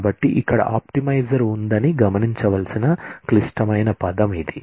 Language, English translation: Telugu, So, that is a critical term to be noted that there is an optimizer